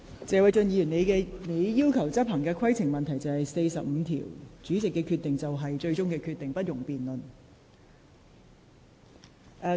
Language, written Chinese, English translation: Cantonese, 謝偉俊議員，你要求執行《議事規則》第44條，該條規定主席所作決定為最終決定，不容辯論。, Mr Paul TSE you asked me to enforce RoP 44 which provides that the decision of the President shall be final and shall not subject to debate